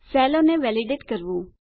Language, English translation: Gujarati, How to validate cells